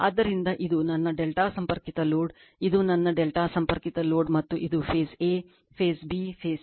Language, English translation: Kannada, So, this is my delta connected load, this is my delta connected load right and this is phase a, phase b, phase c